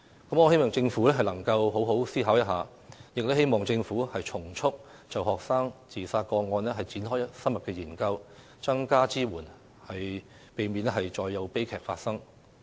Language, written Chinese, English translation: Cantonese, 我希望政府好好思考一下，並從速就學生自殺個案展開深入研究，增加支援，避免再有悲劇發生。, I hope the Government will think about this carefully and commence an in - depth study of student suicides expeditiously . More support is needed to prevent such tragedies from happening again